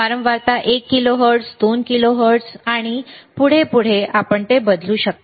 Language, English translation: Marathi, The frequency is how much is one kilohertz, 2 kilohertz and so on and so forth, you can change it